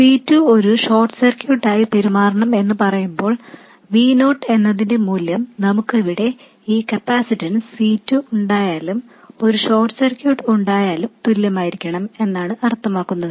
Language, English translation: Malayalam, When we say C2 must behave like a short, what we mean is this value of V0 must be the same whether we have this capacitance C2 here or we have a short circuit